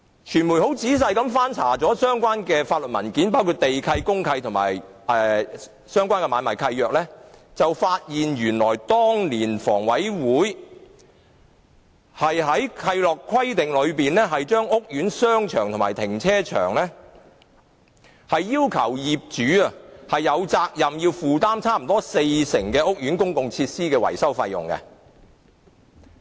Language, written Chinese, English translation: Cantonese, 傳媒曾仔細翻查相關法律文件，包括地契、公契和相關的買賣契約，發現原來當年房委會在契諾規定中就屋苑商場和停車場要求業主負擔接近四成的屋苑公共設施維修費用。, The media had carefully checked the relevant legal documents including the land lease deed of mutual covenant and the relevant assignment deed . It was found that back then HA had actually required in the covenant that the owner shall bear almost 40 % of the maintenance costs of public facilities of the Court in respect of the shopping arcade and car park of the Court